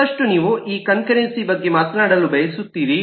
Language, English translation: Kannada, further, you want to talk about this concurrency